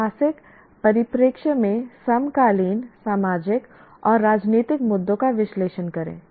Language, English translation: Hindi, Analyze contemporary social and political issues in historical perspectives